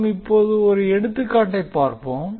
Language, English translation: Tamil, Now let us take one example